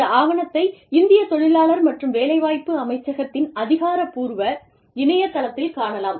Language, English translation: Tamil, This document, can be found on the official website of the, Ministry of Labor and Employment, Government of India